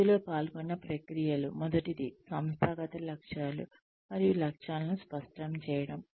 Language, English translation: Telugu, The processes involved in this are, the first one is, clarification of organizational goals and objectives